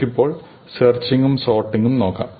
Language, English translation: Malayalam, So, we will look at searching and sorting